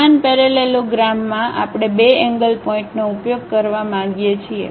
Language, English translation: Gujarati, In the same parallelogram we would like to use 2 corner points